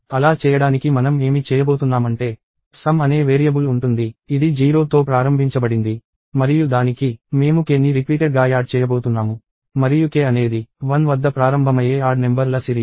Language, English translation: Telugu, So, to do so what we are going to do is we are going to have a variable called sum, which is initialized to 0; and to that, we are going to add k repeatedly; and k is just going to be a sequence of odd numbers starting at 1